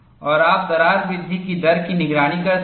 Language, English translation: Hindi, And you have higher crack growth rate in this section